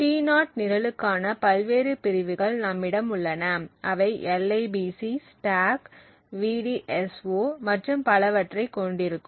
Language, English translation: Tamil, So we have the various segments for the T0 program we have the libc, stack, vdso and so on